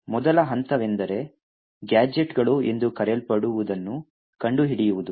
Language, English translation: Kannada, The first step is finding something known as gadgets